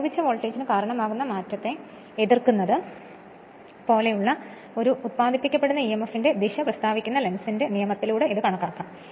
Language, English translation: Malayalam, This can be deduced by Lenz’s law which states that the direction of an induced emf such as to oppose the change causing it which is of course, the applied voltage right